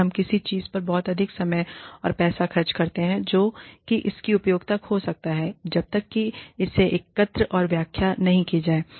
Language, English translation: Hindi, And, we end up spending a lot of time and money on something, that may lose its utility, by the time it is collected and interpreted